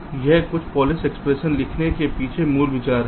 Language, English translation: Hindi, so this is the basic idea behind writing a polish expression